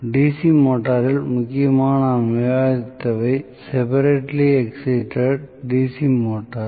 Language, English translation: Tamil, So, in DC motor mainly what we had discussed was separately excited DC motor